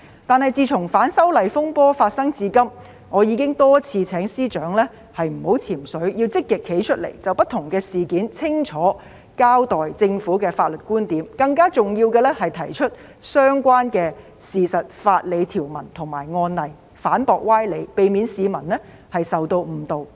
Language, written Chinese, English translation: Cantonese, 但是，自從反修例風波發生至今，我已經多次請司長不要"潛水"，要積極站出來，就不同事件清楚交代政府的法律觀點，更重要的是提出相關的事實、法理條文及案例，反駁歪理，避免市民受到誤導。, However since the occurrence of disturbances arising from the opposition to the proposed legislative amendments I have repeatedly urged the Secretary for Justice not to hide away but should actively come forth to give a clear account of the Governments legal viewpoints on different incidents . More importantly it should present the relevant facts legal provisions and case law to refute specious arguments in order to prevent the public from being misled